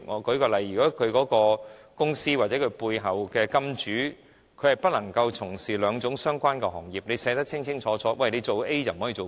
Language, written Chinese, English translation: Cantonese, 舉例而言，如果一間公司背後的金主是不能從事兩種相關行業的，法例便寫清楚做了 A 便不能做 B。, For example if the laws prohibit a beneficial owner of a company to take part in two related industries the provisions will expressly stipulate such prohibition